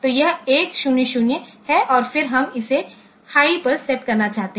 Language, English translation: Hindi, So, it is 1 0 0 and then we want to set it to high